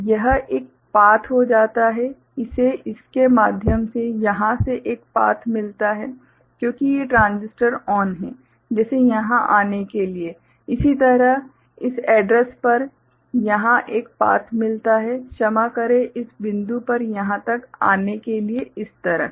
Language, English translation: Hindi, So, this gets a path; this gets a path from here through it because these transistors are ON, like this to come here, similarly this address gets a path over here, sorry like this to come here up to this point